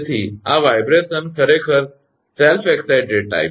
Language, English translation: Gujarati, So, this vibration actually self excited type